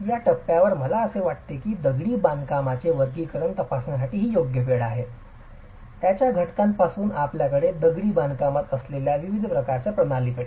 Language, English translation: Marathi, At this stage I think it is the right time to examine classification of masonry right from its constituents all the way to different types of systems you have in masonry